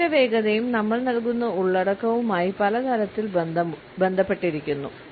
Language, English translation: Malayalam, The speed of this pitch is also related in many ways with the content we have to deliver